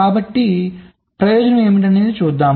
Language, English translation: Telugu, so what is the advantage